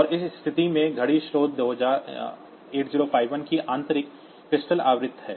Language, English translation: Hindi, And in that case, the clock source is the internal crystal frequency of 8051